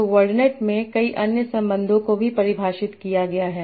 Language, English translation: Hindi, So in wordnet there are many other relations also defined